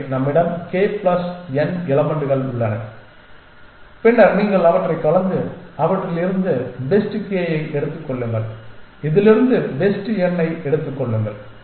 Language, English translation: Tamil, So, we have k plus n elements and then you mix them up and take the best k out of them best n out of this